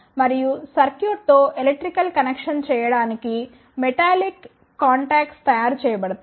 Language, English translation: Telugu, And the metallic contacts are made to make the electrical connection with the circuit